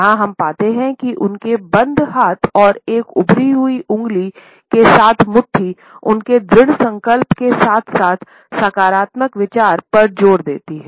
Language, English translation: Hindi, And here, we find that his closed hands and fist with a protruding finger, suggest his determination as well as a positive emphasis on the idea